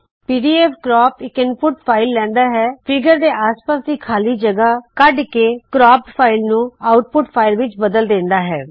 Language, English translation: Punjabi, pdfcrop takes an input file, trims the space around the figure and writes out the cropped file in the output file